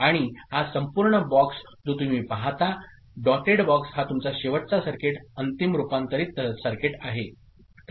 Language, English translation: Marathi, And this whole box which you see, the dotted box is your is final circuit, final converted circuit fine